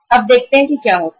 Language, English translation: Hindi, Now let us see what happens